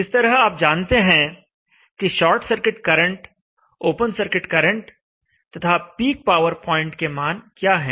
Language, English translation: Hindi, So you know the short circuit current value and the open circuit current value and also the peak power point value